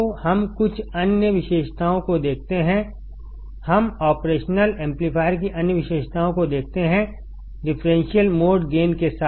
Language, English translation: Hindi, So, let us see some other characteristics; let us see other characteristics of operational amplifier; starting with differential mode gain